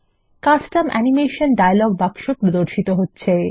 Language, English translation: Bengali, The Custom Animation dialog box appears